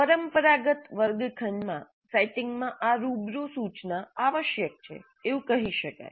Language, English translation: Gujarati, So this is basically face to face instruction in the traditional classroom setting